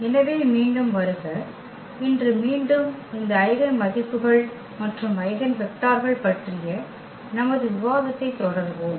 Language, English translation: Tamil, So, welcome back and today again we will continue our discussion on these eigenvalues and eigenvectors